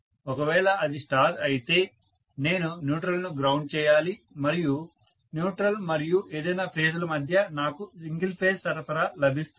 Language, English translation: Telugu, I have to ground the neutral and between the neutral and any of the phases if it a star, I will get single phase supply